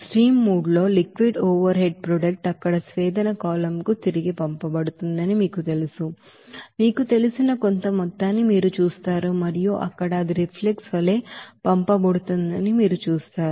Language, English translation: Telugu, And in stream three, you will see some amount of you know liquid overhead product will be sent back to the distillation column there and there you will see that it will be sent as a reflux